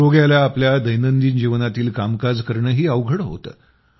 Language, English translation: Marathi, It becomes difficult for the patient to do even his small tasks of daily life